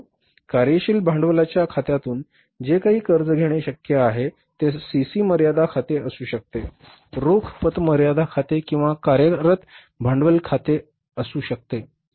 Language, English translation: Marathi, But for example, whatever the total borrowing was possible from that working capital account, maybe it's a CC limit account, cash credit limit account or the working capital loan account